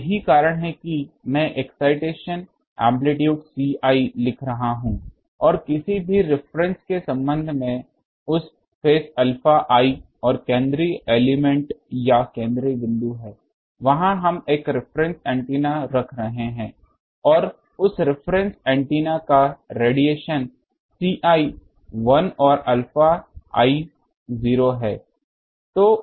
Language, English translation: Hindi, So, that is that is why I am writing these excitation amplitude is C i and the phase of that with respect to any reference is alpha i and the central element or the central point that is there we are placing a reference antenna and that reference antenna radiates with C i 1 and alpha i 0